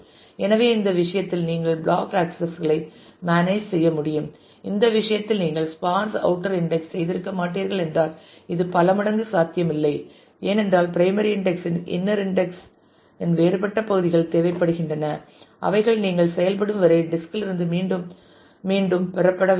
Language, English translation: Tamil, So, with this you would be able to manage with to block accesses in this case and that is how the multiple this would not have been possible if in this case you would not have done the sparse outer index, because you would have required the different parts of the inner index of the primary index to be fetched repeatedly from the disk till you act could actually find the final result in that